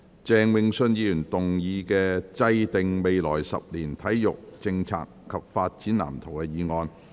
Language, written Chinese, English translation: Cantonese, 鄭泳舜議員動議的"制訂未來十年體育政策及發展藍圖"議案。, Mr Vincent CHENG will move a motion on Formulating sports policy and development blueprint over the coming decade